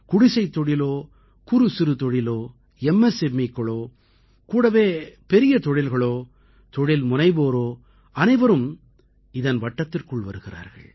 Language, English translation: Tamil, Be it cottage industries, small industries, MSMEs and along with this big industries and private entrepreneurs too come in the ambit of this